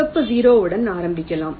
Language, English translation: Tamil, lets start with a red zero